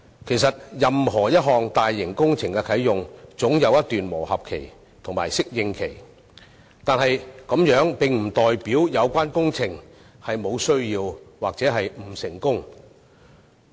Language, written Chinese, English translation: Cantonese, 其實任何大型工程在啟用後總有一段磨合期及適應期，但這並不表示有關工程無必要或不成功。, In fact any large projects will go through a transition period and an adaptation period upon commissioning but it does not mean that such projects are unnecessary or unsuccessful